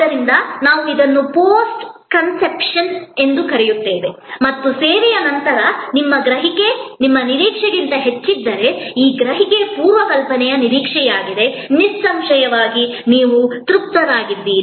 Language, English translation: Kannada, So, we call it post conception and this perception minus the pre conception expectation is if you perception after the service is higher than your expectation then; obviously, your satisfied